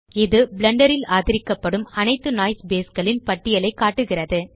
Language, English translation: Tamil, This shows a list of all supported noise bases in Blender